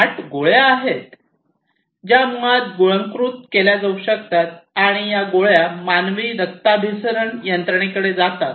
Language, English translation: Marathi, There are smart pills which basically can be swallowed and these pills basically go to the human circulatory system